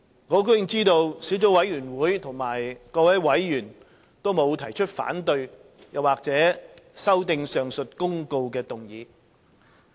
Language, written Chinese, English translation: Cantonese, 我很高興知悉，小組委員會各委員均沒有提出反對或修訂上述公告的議案。, I am pleased to note that no member of the Subcommittee raised any objection or proposed any amendment to the motion on the aforesaid Notices